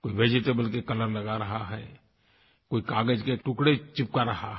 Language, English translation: Hindi, Some are using vegetable colours, while some are pasting bits and pieces `of paper